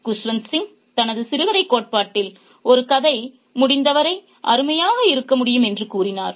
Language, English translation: Tamil, Kushwin Singh in his theory of the short story said that a story can be as fantastic as possible provided that there is a message to convey